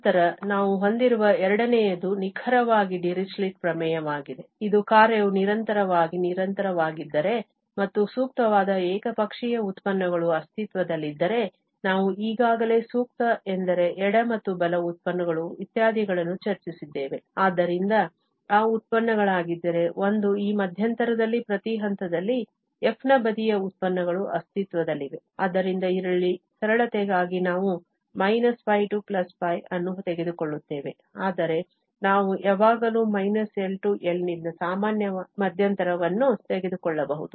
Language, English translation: Kannada, Then the second one we have is exactly the Dirichlet theorem which says that if the function is piecewise continuous and the appropriate one sided derivatives exist, we have already discussed before appropriate means those left and right derivatives etcetera, so, if those derivatives, the one sided derivatives of f at each point in this interval exist, so, here just for simplicity, we are taking minus pi to pi but we can always take it rather general interval from minus L to L